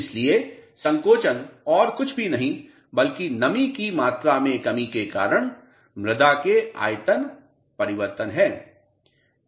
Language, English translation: Hindi, So, shrinkage is nothing but the reduction in volume of the soil due to change in moisture content